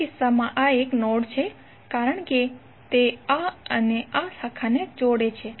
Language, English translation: Gujarati, Now in this case this is the node because it is connecting this and this branch